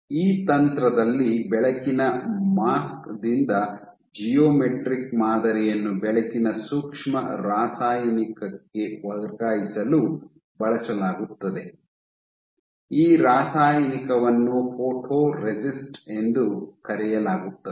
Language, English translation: Kannada, So, in this technique light is used to transfer a geometric pattern from a photo mask to a light sensitive chemical, this chemical is called photoresist